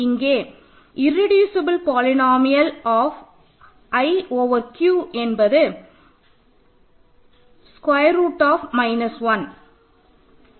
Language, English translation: Tamil, So, the irreducible polynomial of root 2 over Q is x squared minus 2